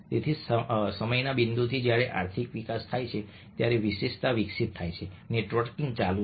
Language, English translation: Gujarati, so, right from the point of time when economic evolves, specialization evolves, networking has been going on